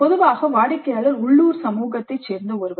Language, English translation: Tamil, Usually the client is someone from a local community